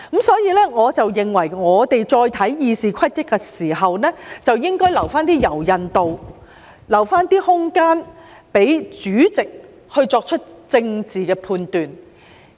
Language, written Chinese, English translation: Cantonese, 所以，我認為我們再審視《議事規則》的時候，應該留一點柔韌度，留一些空間，讓主席作出政治判斷。, Hence I think when we revisit RoP we should leave some flexibility and room for the President to make his political judgment . On the issue of attire RoP 42 has already made it very clear